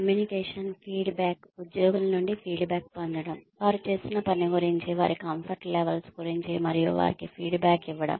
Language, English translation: Telugu, Communication, feedback, getting feedback from the employees, regarding the work, that they are doing, regarding their comfort levels, and giving them feedback